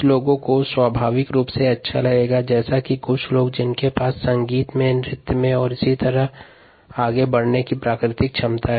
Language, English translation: Hindi, some people would be naturally good at it, as have some people who a who have a natural ability in a music, in dance and so on, so forth